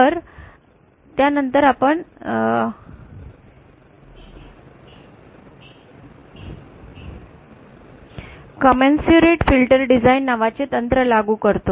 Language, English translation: Marathi, Then we apply a technique called commensurate filter design